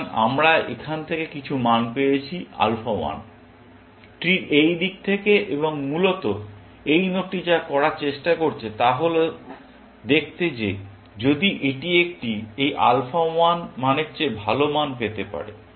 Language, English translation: Bengali, So, we have got some value from here; alpha 1; from this side of the tree and essentially, what this node is trying to do is to see, if it can get a better value, better than this alpha 1 value